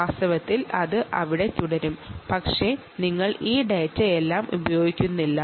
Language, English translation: Malayalam, in fact it will continue to be there, but you just dont use this